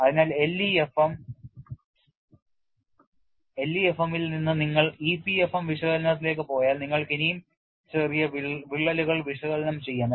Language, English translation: Malayalam, So, from LEFM if you go to EPFM analysis, you could analyze still smaller cracks, but it does not start from 0